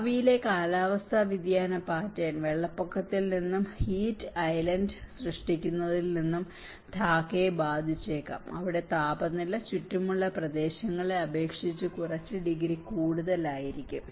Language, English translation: Malayalam, The future climate change pattern may impact Dhaka from flooding and creating heat island where temperature may become a few degrees higher than the surrounding areas